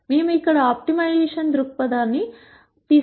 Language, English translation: Telugu, As we mentioned before we are going to take an optimization perspective here